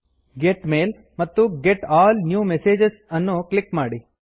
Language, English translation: Kannada, Click Get Mail and click on Get All New Messages